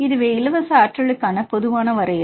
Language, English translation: Tamil, And you can see the free energy